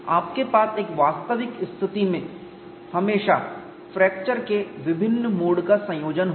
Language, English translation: Hindi, You will always have combination of different modes of fracture in an actual situation